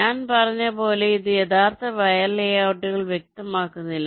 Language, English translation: Malayalam, in this step, as i said, it does not specify the actual wire layouts